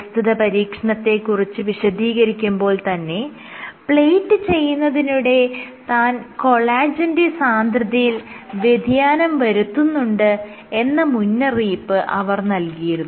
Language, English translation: Malayalam, So, there was one caveat about this experiment that when she plated because she was changing the collagen concentration